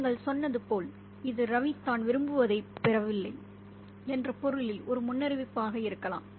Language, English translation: Tamil, And as you said, this could be a premonition in the sense that Ravi is not going to get what he wants